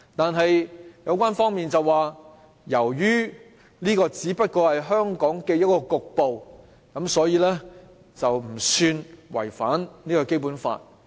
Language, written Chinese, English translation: Cantonese, 然而，有關方面表示，由於這個只不過是香港一個局部地段，所以，並不算違反《基本法》。, But the authorities concerned argue that we are talking about just one single locale in Hong Kong so the arrangement should not perceived as a violation of the Basic Law